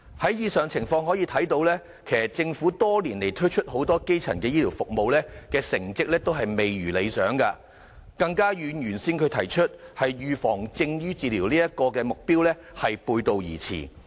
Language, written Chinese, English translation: Cantonese, 從以上情況可以看到，政府多年來推行很多基層醫療服務的成績都未如理想，更與最初提出"預防勝於治療"的目標背道而馳。, We can see from the situation above that the Governments performance in implementing many primary health care services over the years is unsatisfactory and its efforts run counter to its original goal of achieving prevention is better than cure